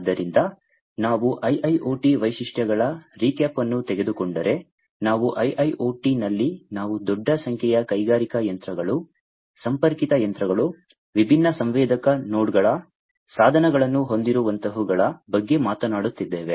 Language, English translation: Kannada, So, if we take a recap of the IIoT features, we have in IIoT we are talking about large number of industrial machines, connected machines, having different sensor nodes devices, and so on